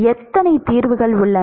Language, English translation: Tamil, How many solutions are there